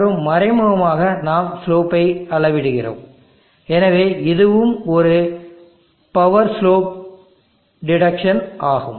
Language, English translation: Tamil, And indirectly we are measuring the slopes, so this is also a power slope deduction